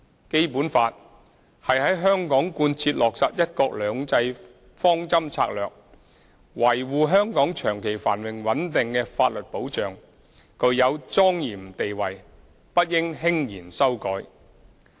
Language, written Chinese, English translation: Cantonese, 《基本法》是在香港貫徹落實"一國兩制"方針政策、維護香港長期繁榮穩定的法律保障，具有莊嚴地位，不應輕言修改。, The Basic Law is the legal safeguard for implementing the one country two systems policy in Hong Kong and for maintaining the long - term prosperity and stability of Hong Kong . It has a solemn status and should not be amended lightly